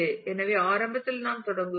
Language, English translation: Tamil, So, initially we start with